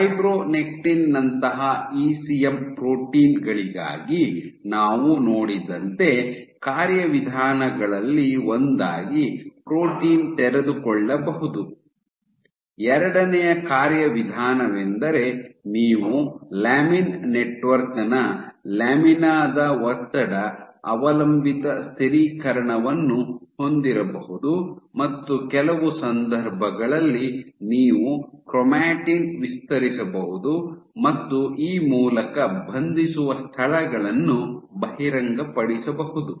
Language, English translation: Kannada, One is like we saw for ECM proteins like fibronectin, you might have protein unfolding as one of the mechanisms, second mechanism you might have tension dependent stabilization of the lamina of the lamin network, and some cases you might have chromatin stretching thereby exposing spaces for binding